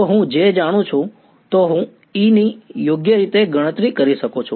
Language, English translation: Gujarati, If I know J, I can calculate E right